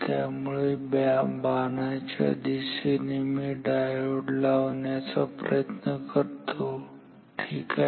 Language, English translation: Marathi, So, let me put diodes along the direction of arrows ok